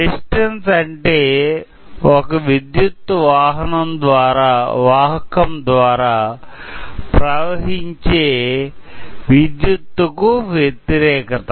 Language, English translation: Telugu, So, resistance is nothing but the opposition that electricity or current faces when it passes through a circuit